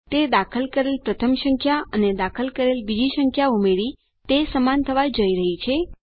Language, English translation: Gujarati, Thats going to be equal to the first number which was entered and added to the second number which was entered